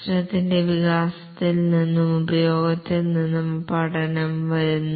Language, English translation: Malayalam, Learning comes from both the development and use of the system